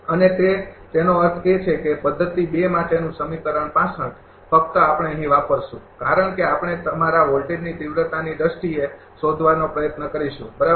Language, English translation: Gujarati, And that; that means, same equation that equation 65 for method 2 only we will use here, because are all will try to find out in terms of your voltage magnitude, right